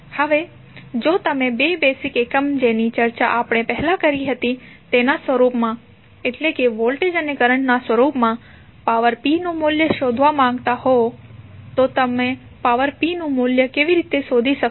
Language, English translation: Gujarati, Now, if you want to find out the value of power p in the form of two basic quantities which we discussed previously that is voltage and current